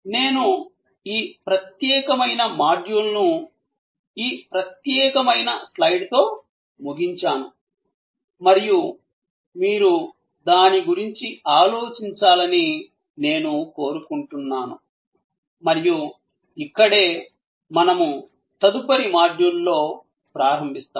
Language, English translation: Telugu, I will end today's this module with this particular slide and I would like you to think about it and this is where, we will begin in the next module